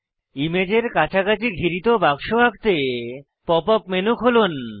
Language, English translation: Bengali, To draw a bound box around the image, open the Pop up menu